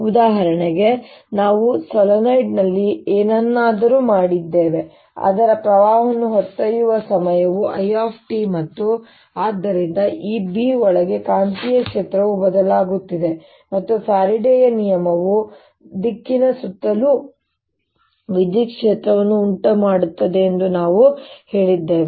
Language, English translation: Kannada, for example, we did something in which is solenoid, whose carrying a current which was time dependent i, t, and therefore the magnetic field inside this b was changing and that we said by faraday's law, gave rise to an electric field going around um direction